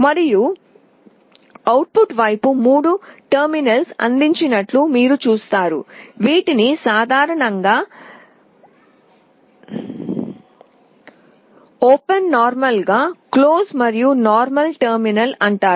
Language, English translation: Telugu, And on the output side you see there are three terminals that are provided, these are called normally open normally closed , and the common terminal